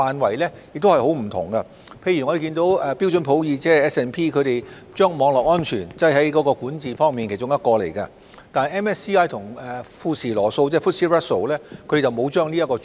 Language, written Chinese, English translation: Cantonese, 舉例來說，標準普爾將網絡安全納入管治的其中一環，但明晟及富時羅素則沒有納入這個主題。, For instance SP has incorporated cyber security as an element of governance but MSCI and FTSE Russell have not included such a subject